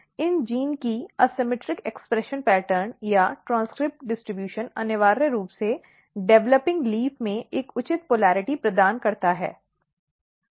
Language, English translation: Hindi, So, the asymmetric expression pattern or transcript distribution or transcript expression of these genes essentially, provides a proper polarity in the developing leaf